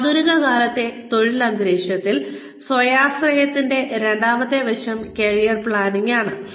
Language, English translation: Malayalam, The second aspect of self reliance, in the modern day work environment is, career planning